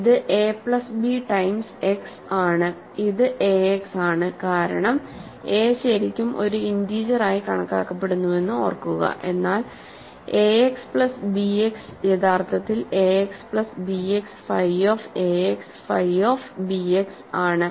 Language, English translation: Malayalam, This is a plus b times x, this is ax because remember a is really being thought of as an integer but, ax plus bx is actually phi of ax phi of bx